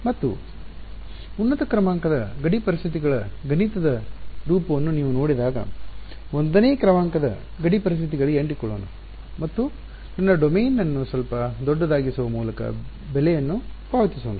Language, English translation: Kannada, And when you look at the mathematical form of higher order boundary conditions you will realize let us stick to 1st order boundary conditions and pay the price by making my domain a little bit larger ok